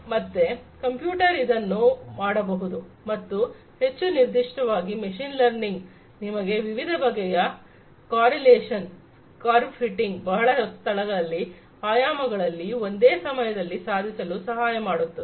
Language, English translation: Kannada, So, the computers can do it and in fact, more specifically machine learning can help you achieve these different types of correlation, curve fitting etcetera in multiple you know in spaces having multiple dimensions at the same time right